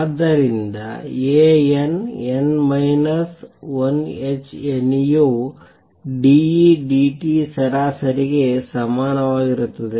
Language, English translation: Kannada, So, A n n minus 1 h nu is equal to d E d t average